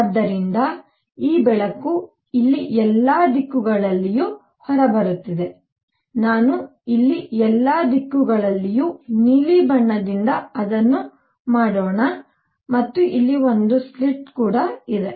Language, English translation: Kannada, So, this light is coming out in all directions here let me make it with blue in all directions here and here is a slit